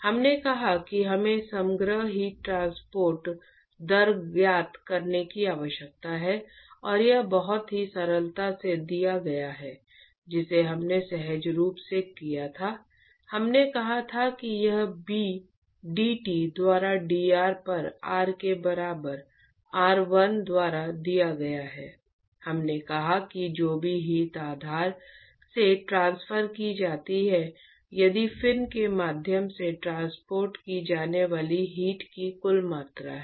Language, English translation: Hindi, We said that we need to find the overall heat transport rate and that is very simply given by just like the way we did intuitively we said that it given by b dT by dr at r equal to r 1 we said whatever heat that is transferred from the base if the total amount of heat that is transported through the fin